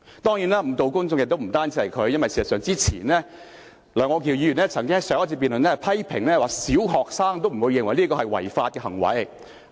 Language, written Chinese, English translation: Cantonese, 當然，誤導公眾的人不僅是他一個，因為在此以前，楊岳橋議員曾經在上一次辯論時批評說小學生也不會認為這是違法的行為。, Certainly he was not the only one who misled the public . Before that Mr Alvin YEUNG said in the previous debate that even primary students would not consider such an act illegal